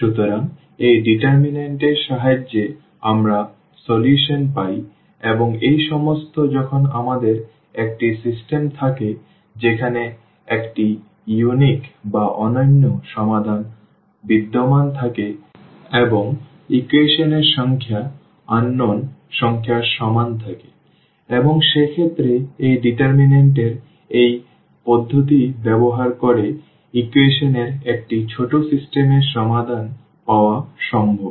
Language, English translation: Bengali, So, with the help of this determinant we get the solution and this is possible when we have a system where a unique solution exists, the same equation the number of equations the same as the number of unknowns and the system has a unique solution in that case this is possible to get the solution of a rather smaller system of equations using this method of determinants